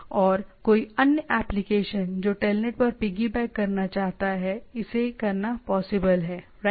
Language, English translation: Hindi, And any other applications which want to piggy back on the telnet is it is possible to do that right